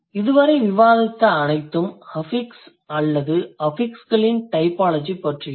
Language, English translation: Tamil, So, this is all about the affixes or the typology of affixes that we have discussed so far